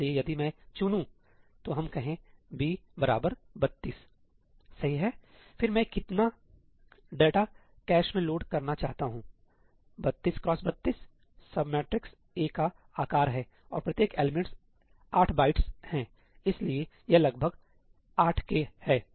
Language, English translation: Hindi, So, if I choose, let us say, ëb equal to 32í , then how much data do I want to load into the cache 32 into 32 is the size of the sub matrix A and each element is 8 bytes, so, this is about 8K